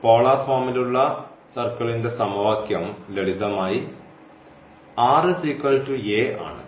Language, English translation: Malayalam, So, the equation of the circle in the polar form is simply r is equal to a